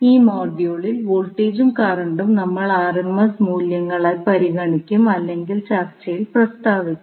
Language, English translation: Malayalam, So, in this module also the voltage and current we will consider in RMS values or otherwise stated in the particular discussion